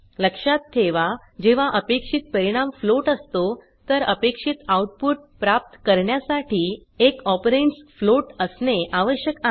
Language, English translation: Marathi, Keep in mind that when the expected result is a float, one of the operands must be a float to get the expected output